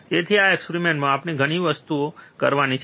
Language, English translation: Gujarati, So, there are several things that we have to do in this experiment